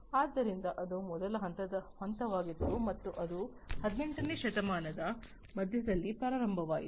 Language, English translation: Kannada, So, that was the first stage and that started in the middle of the 18th century